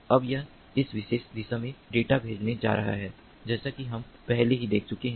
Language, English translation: Hindi, now it is going to send the data in this particular direction, as we have already seen